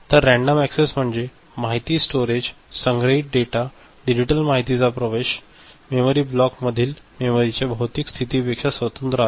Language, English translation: Marathi, So, random access means the access of the information, the storage, stored data, digital information, it is independent of physical position of the memory within the memory block ok